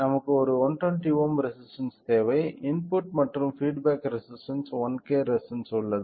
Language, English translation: Tamil, We require one 120 ohm resistance has a input and 1K resistance as a feedback resistance